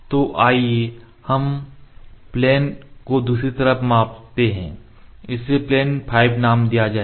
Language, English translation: Hindi, So, let us measure the plane on the other side this will be named as plane 5